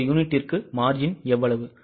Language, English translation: Tamil, How much is a margin per unit